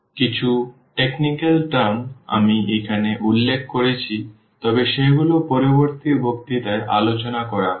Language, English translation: Bengali, So, some technical terms I am just mentioning here, but they will be discussed in the next lecture